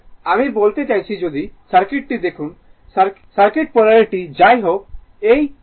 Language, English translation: Bengali, I mean if you look into the circuit if you look into the circuit polarity will be anyway this 1 plus minus